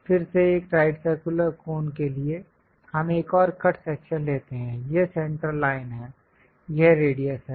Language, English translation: Hindi, Again for a right circular cone; we take another cut section, this is the centerline, this is the radius